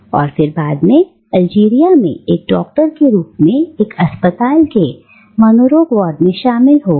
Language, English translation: Hindi, And then later joined the psychiatric ward of a hospital as a doctor in Algeria